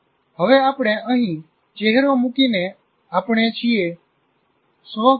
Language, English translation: Gujarati, And we now look at, we put a face here what we call self concept